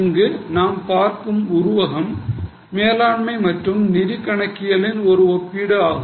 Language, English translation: Tamil, So, here in this figure we are seeing a comparison of management versus financial accounting